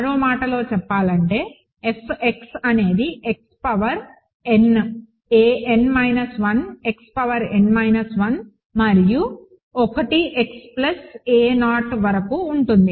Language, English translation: Telugu, So, in other words what I am assuming is that the F x is x power n a n minus 1 x power n minus 1 and so on up to a 1 x plus a 0